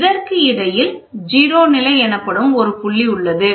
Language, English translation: Tamil, And in between this comes a 0 level